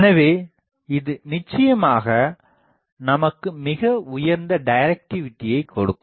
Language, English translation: Tamil, So, it will definitely give us very high directivity